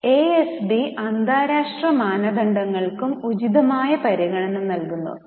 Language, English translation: Malayalam, Now, ASB gives due consideration to international standards also